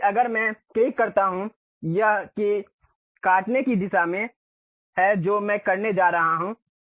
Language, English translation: Hindi, So, if I click that this is the direction of cut what I am going to have